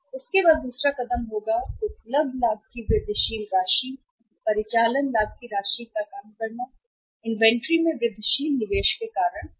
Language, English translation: Hindi, After that the second step is we will have to work out the incremental amount of the profit available, amount of the operating profit available because of the incremental investment in the inventory